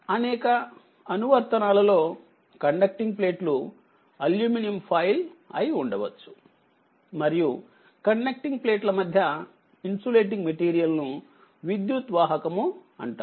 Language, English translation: Telugu, In many applications the conducting plates may be aluminum foil right the that conducting plates may be aluminum foil and the insulating material between the conducting plates, we called a dielectric right